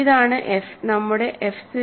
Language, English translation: Malayalam, So, f is this is our f 0